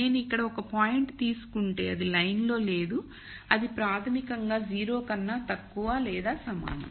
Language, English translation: Telugu, If I take a point here then that is not on the line so, that is basically less than equal to 0 so, I will say it is inactive